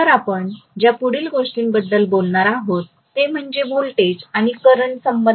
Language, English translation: Marathi, So the next thing that we will be talking about is voltage and current relationships